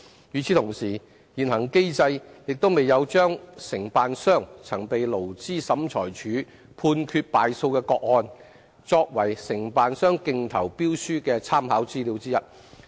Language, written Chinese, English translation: Cantonese, 與此同時，現行機制亦未有將承辦商曾被勞資審裁處判決敗訴的個案，作為承辦商競投標書的參考資料之一。, Meanwhile under the existing mechanism cases ruled against contractors by the Labour Tribunal are also not included in the bids placed by contractors as part of the reference